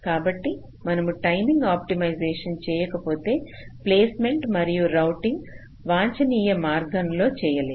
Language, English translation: Telugu, so so, so means, unless we do the timing optimization, we cannot do placement and routing in an optimum way